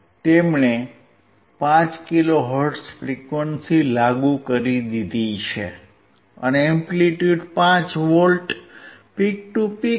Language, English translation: Gujarati, He has applied 5 kilohertz frequency, and the amplitude is 5 V peak to peak